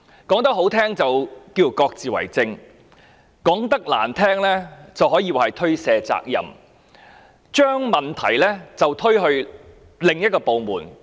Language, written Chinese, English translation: Cantonese, 說得動聽一點，就是各自為政；說得難聽一點，可說是推卸責任，將問題推到另一個部門。, To put it bluntly they are shirking responsibilities by passing the problems from one department to another